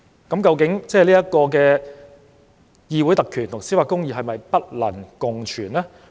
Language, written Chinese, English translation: Cantonese, 究竟議會特權與司法公義是否不能共存？, Is it that parliamentary privileges and judicial justice cannot co - exist?